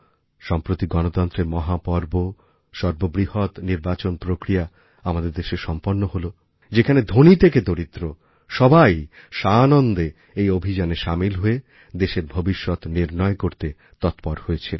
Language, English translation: Bengali, Just recently, our country celebrated a mega festival of democracy, a mammoth Election Campaign, from the rich to the poor, all were happily eager in this festival to decide the fate of their country